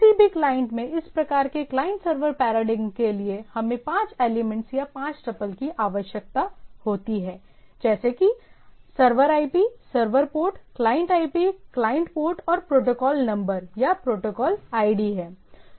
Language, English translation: Hindi, So, primarily, in any client this type of client server paradigm, we require this five element or five tuple to be there, one is that server IP, server port, client IP, client port and this protocol number or protocol ID, right